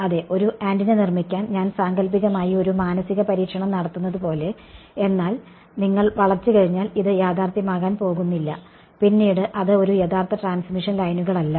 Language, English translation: Malayalam, Yeah, I am hypothetical like doing a mental experiment to construct an antenna right, but this is not going to be realistically once you bend it is no longer exactly a transmission lines